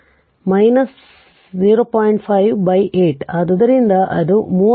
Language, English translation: Kannada, 5 by 8, so it will become 31